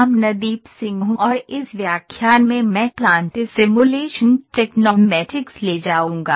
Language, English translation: Hindi, Amandeep Singh and I will take the plant simulation Tecnomatix in this lecture